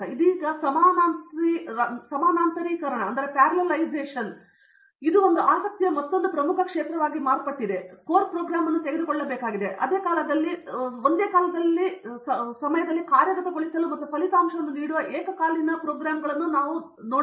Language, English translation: Kannada, Now, parallelization is now became another major area of interest right so we have to take a core program and see how I can make it into concurrent pieces which can execute at the same point of time and give a result